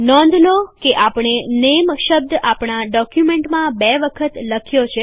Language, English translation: Gujarati, Notice that we have typed the word NAME twice in our document